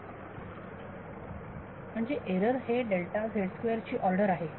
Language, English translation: Marathi, So, the error is order of delta z square